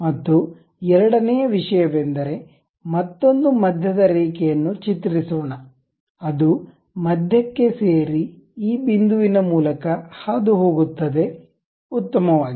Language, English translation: Kannada, And second thing let us have another center line join the mid one and that is passing through this point, fine